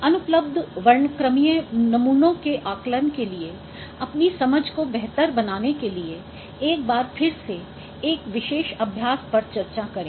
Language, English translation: Hindi, So, let me discuss one particular exercise to once again to give your and make your understanding better for estimation of the missing spectral samples